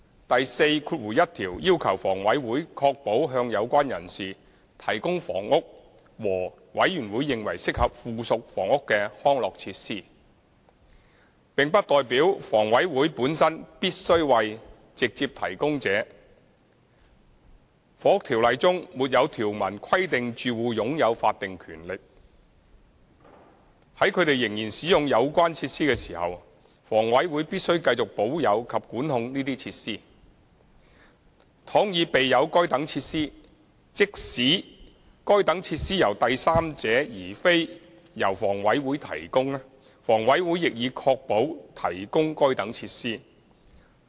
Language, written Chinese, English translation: Cantonese, 第41條要求房委會確保向有關人士提供房屋和"委員會認為適合附屬房屋的康樂設施"，並不代表房委會本身必須為直接提供者；《房屋條例》中沒有條文規定住戶擁有法定權利，在他們仍然使用有關設施時，房委會必須繼續保有及管控這些設施；倘已備有該等設施，即使該等設施由第三者而非由房委會提供，房委會亦已確保提供該等設施。, Section 41 requires HA to secure the provision of housing and such amenities ancillary thereto as the Authority thinks fit for the persons concerned . This does not mean that HA needs to be the direct provider itself and it is not stipulated in the Housing Ordinance that the tenants have any statutory right to the continued retention and control by HA of the facilities while the tenants are still using the facilities . HA has secured the provision of these facilities so long as such facilities are available even though they are not provided by HA but by a third party